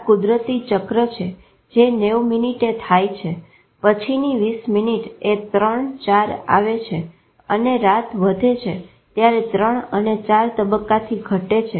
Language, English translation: Gujarati, This is a natural cycle which has happened 90 minutes 20 minutes then then stage 3, 4 and as night progresses what decreases is the stage 3 and 4